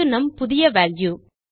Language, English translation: Tamil, So this will be our new value